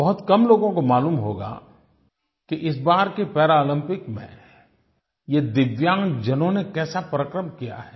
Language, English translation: Hindi, Only very few people might be knowing as to what stupendous feats were performed by these DIVYANG people in the Paralympics this time